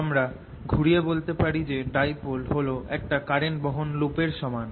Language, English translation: Bengali, i can turn this argument around and say that a dipole is equivalent to a current carrying loop